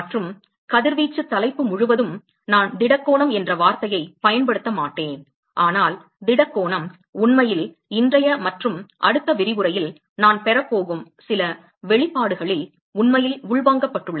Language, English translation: Tamil, And all through the radiation topic that we will see I will not use the word solid angle, but the solid angle is actually inbuilt in some of the expression that I am going to derive shortly the today’s and next lecture